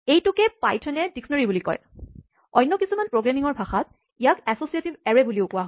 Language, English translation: Assamese, This is what python calls a dictionary, in some other programming languages this is also called an associative array